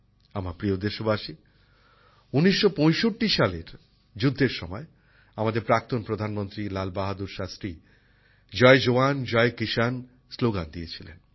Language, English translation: Bengali, My dear countrymen, during the 1965 war, our former Prime Minister Lal Bahadur Shastri had given the slogan of Jai Jawan, Jai Kisan